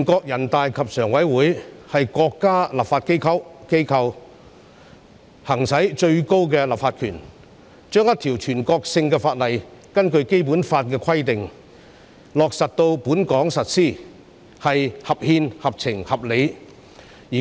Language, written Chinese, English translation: Cantonese, 人大常委會是國家立法機構，行使最高的立法權，將一項全國性法律，根據《基本法》的規定，落實在本港實施，是合憲、合情、合理的。, NPCSC is the legislature of the State . It is constitutional fair and reasonable to exercise its highest legislative power to effect the implementation of a national law in Hong Kong in accordance with the provisions in the Basic Law